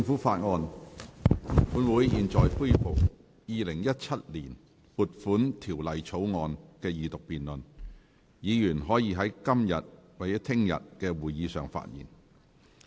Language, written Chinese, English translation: Cantonese, 本會現在恢復《2017年撥款條例草案》的二讀辯論，議員可在今天或明天的會議發言。, This Council now resumes the Second Reading debate on the Appropriation Bill 2017 . Members may speak at todays or tomorrows meeting